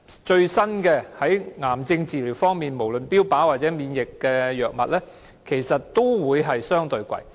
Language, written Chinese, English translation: Cantonese, 在癌症治療方面，無論是最新的標靶或免疫藥物，其實也相對地昂貴。, In terms of cancer treatment both the latest target therapy drugs or immunosuppressive drugs are actually relatively expensive